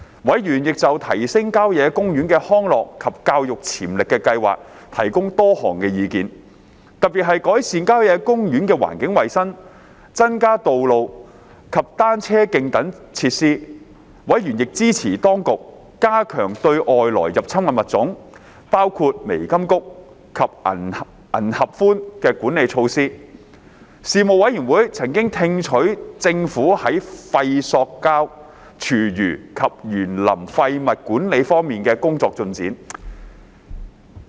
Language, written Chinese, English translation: Cantonese, 委員亦就提升郊野公園的康樂及教育潛力的計劃提供多項意見，特別是改善郊野公園的環境衞生、增加道路及單車徑等設施。委員亦支持當局加強對外來入侵物種的管理措施。事務委員會曾聽取政府在廢塑膠、廚餘及園林廢物管理方面的工作進展。, Members put forward a number of suggestions on the plan to enhance the recreation and education potential of country parks especially on the improvement of the environmental hygiene conditions of country parks and the provision of such facilities as new roads and new bike trails